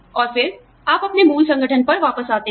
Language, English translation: Hindi, And then, you come back to your parent organization